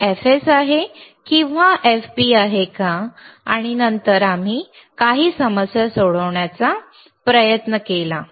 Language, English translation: Marathi, wWhether this is fFs or whether this is fFp, and then we have to tryied to solve a solve few problems